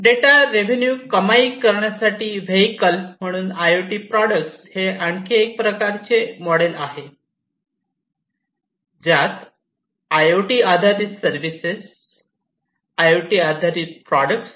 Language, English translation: Marathi, IoT products as a vehicle to monetize data; this is another type of model that is used for IoT based services IoT based products